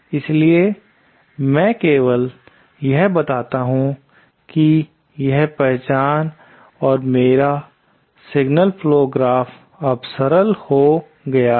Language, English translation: Hindi, So, I simply apply that this identity and my signal flow graph now simplifies